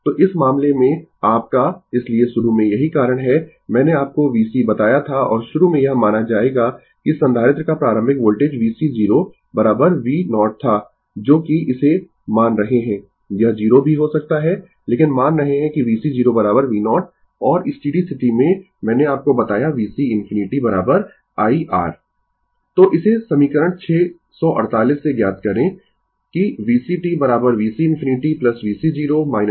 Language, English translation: Hindi, So, in this case your, so initially that is why I told you that v c your and initially we will assume that initial voltage of the capacitor was v c 0 is equal to v 0 that we are assuming it, it may be 0 also, but we are assuming that v c 0 is equal to v 0 right and at steady state I told you, v c infinity is equal to I R